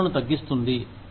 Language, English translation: Telugu, Reduces your costs